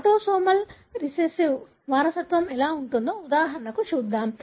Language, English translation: Telugu, Let’s look into an example of how autosomal recessive inheritance might look like